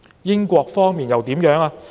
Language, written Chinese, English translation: Cantonese, 英國方面又怎樣呢？, What about the United Kingdom?